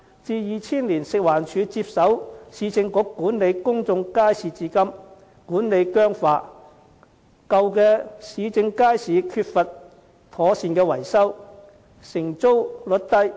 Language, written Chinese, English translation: Cantonese, 自2000年食環署接手原由市政局管理的公眾街市至今，管理僵化，舊的市政街市缺乏妥善維修，承租率低。, Since the Food and Environmental Hygiene Department FEHD took over the public markets used to be managed by the two former Municipal Councils in 2000 the management of markets became fossilized lacking proper maintenance and repairs and their letting rate was low